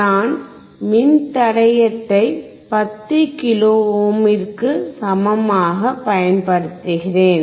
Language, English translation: Tamil, I am using resistor equals to 10 kilo ohm